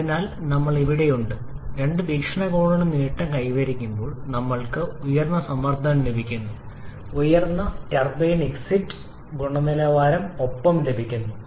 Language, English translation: Malayalam, Therefore here we are gaining from both point of view, we are getting higher pressure and also we are getting higher turbine exit quality both of which are highly desirable